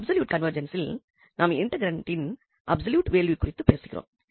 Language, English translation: Tamil, In absolute convergence, we are talking about the absolute value of the integrand